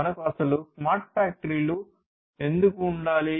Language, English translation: Telugu, Why at all we need to have smart factories